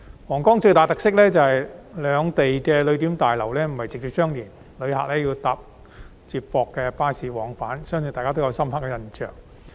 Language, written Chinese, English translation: Cantonese, 皇崗口岸最大的特色，是兩地的旅檢大樓不是直接相連，旅客要乘搭接駁巴士往返，我相信大家對此都有深刻印象。, The most distinctive feature of the Huanggang Port is that the passenger clearance buildings of the two places are not directly connected making it necessary for travellers to take shuttle buses to travel between them . I believe Members all have a clear memory of it